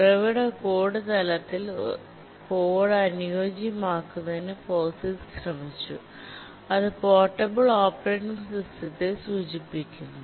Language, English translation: Malayalam, To make the code compatible at the source code level, the POGIX was attempted stands for portable operating system